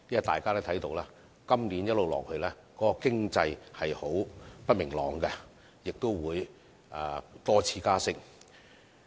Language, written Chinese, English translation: Cantonese, 大家都看到，今年的經濟並不明朗，亦會多次加息。, As we can see the economic outlook is uncertain this year and there will be interest rate rises